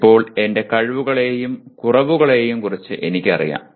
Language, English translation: Malayalam, Now, I am aware of my abilities as well as inabilities